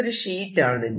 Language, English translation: Malayalam, this is a sheet